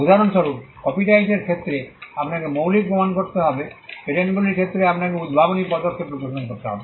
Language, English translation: Bengali, For instance, in the case of copyright you need to prove originality; in the case of patents you need to show inventive step